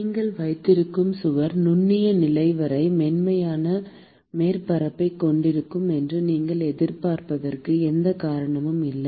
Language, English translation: Tamil, There is no reason why you should expect that the wall that you are having has a smooth surface all the way up to the microscopic level